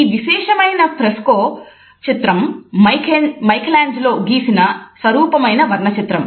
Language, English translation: Telugu, This particular fresco painting is an iconic painting by Michelangelo